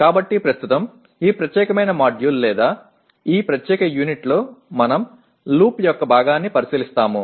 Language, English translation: Telugu, So presently in this particular module or this particular unit we will look at this part of the loop